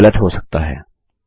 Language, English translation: Hindi, That might be wrong